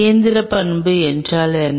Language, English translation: Tamil, what is meant by the mechanical property